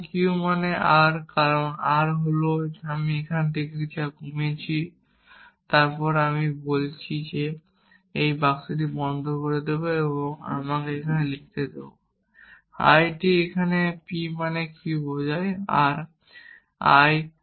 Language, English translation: Bengali, Now, q implies r because r is what I reduced from here then I am saying I will close this box and I will get let me write I t here p implies q implies r